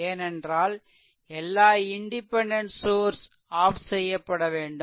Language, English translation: Tamil, Because, all independent sources must be turned off